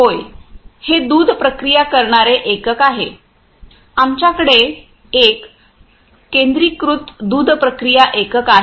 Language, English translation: Marathi, Yeah, this is milk processing unit; we have a centralised milk processing unit